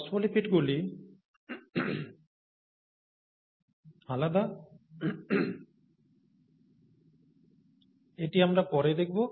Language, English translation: Bengali, In the phospholipids, this is different as we will see later